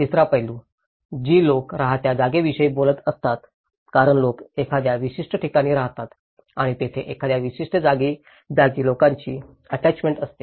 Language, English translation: Marathi, The third aspect, which is talking about the lived space as the people tend to live at a particular place that is where an invisible degree of people's attachment to a certain place